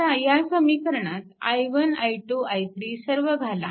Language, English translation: Marathi, Now, you have to right down i 1 i i 2 we wrote right